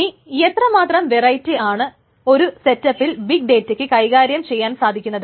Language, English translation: Malayalam, So how much variety can this big data handle in the single setup